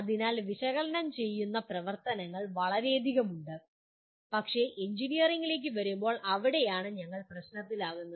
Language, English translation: Malayalam, So analyze activities are very many but that is where we get into problem when we come to engineering